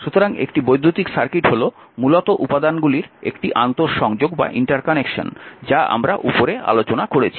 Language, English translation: Bengali, So, an electric circuit is simply an interconnection of the elements earlier we have discussed above this right